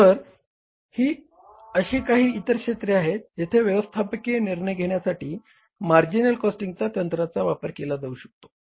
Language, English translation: Marathi, So, these are some of the other areas where marginal costing can be used as a technique in the management decision making